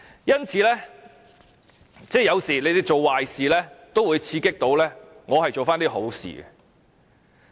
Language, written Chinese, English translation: Cantonese, 因此，有時候政府做壞事也會刺激我做一些好事。, Sometimes when the Government do bad things it may provoke me to do some good things